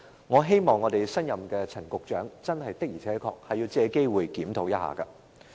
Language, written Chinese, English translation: Cantonese, 我希望新上任的陳局長一定要作出檢討。, I hope the new Secretary Frank CHAN should definitely conduct a review on the matter